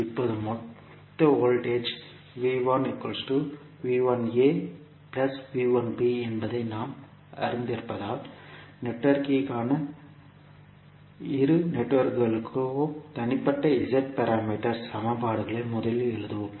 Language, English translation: Tamil, Now, as we know that the total voltage V 1 is nothing but V 1a plus V 1b, we will first write the individual Z parameter equations for both of the networks for network A what we can write